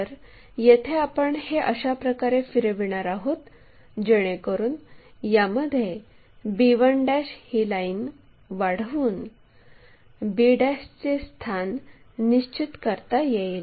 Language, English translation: Marathi, Here, we are going to rotate in such a way that, this b 1 we extend a line to locate b' there